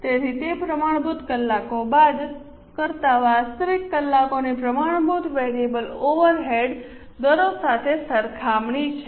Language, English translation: Gujarati, So, it's a comparison of standard hours minus actual hours into standard variable overhead rates